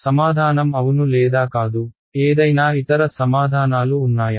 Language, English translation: Telugu, Answer is yes, answer is no; any other answers